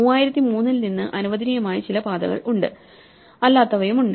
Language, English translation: Malayalam, There are some paths which are allowed from the 3003 and some which are not